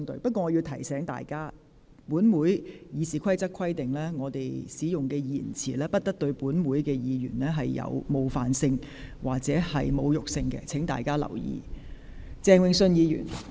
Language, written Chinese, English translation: Cantonese, 不過，我要提醒各位，《議事規則》規定，議員使用的言詞不得對其他議員帶有冒犯性或侮辱性，請大家留意。, I understand that Members may inevitably make censorious and pointed remarks in the course of the debate but may I remind Members that according to the Rules of Procedure Members shall not use offensive or insulting language about other Members